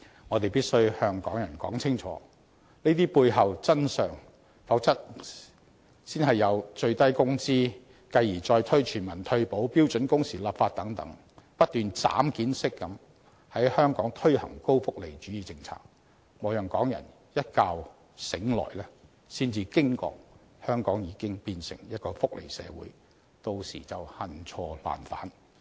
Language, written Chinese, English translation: Cantonese, 我們必須向香港人清楚說明這些背後的真相，否則先有最低工資，繼而再推全民退保和標準工時立法等，高福利主義政策會不斷"斬件式"地在香港推出，莫讓港人一覺醒來才驚覺香港已經變成一個福利社會，到時便恨錯難返。, If not policies offering a high level of welfare benefits will be introduced in Hong Kong one after the other following the minimum wage universal retirement protection and legislation on standard working hours . By then the people of Hong Kong will wake up seeing Hong Kong having been turned into a society of welfarism in a shock . We will then be haunted by regret in the face of the irreversible situation